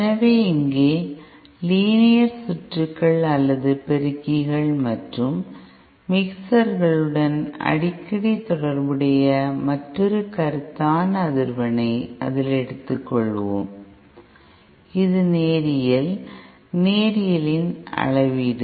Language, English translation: Tamil, So here we will take yet another concept that is frequently associated with Linear Circuits or amplifiers and mixers which is the Linearity, the measure of Linearity